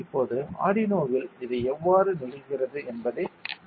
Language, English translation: Tamil, Now we will switch to the showing how it happens in Arduino